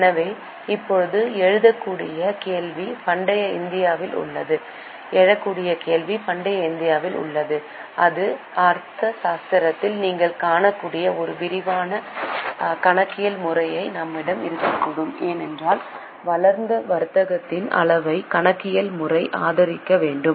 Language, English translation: Tamil, So, now the question which may arise is, in the ancient India, is it possible that we have such a detailed system of accounting as you can see in Arthashtra because system of accounting should be supported by that much level of developed commerce